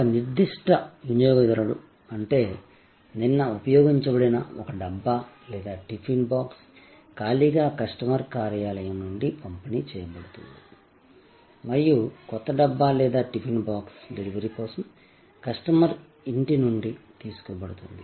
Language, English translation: Telugu, Because a particular customer means one dabba or a tiffin box is delivered empty, which was used yesterday and the new dabba or the tiffin box is taken from the customer’s home for delivery to the customers office